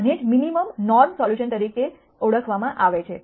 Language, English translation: Gujarati, This is what is called the minimum norm solution